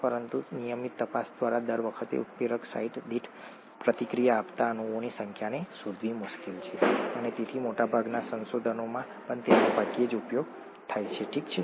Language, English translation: Gujarati, But it’s rather difficult to find out the number of molecules reacted per catalyst site per time through regular investigations and therefore it is rarely used even in most research, okay